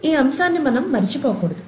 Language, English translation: Telugu, We should not forget that aspect